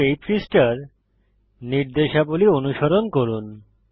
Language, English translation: Bengali, Just follow the instructions on this page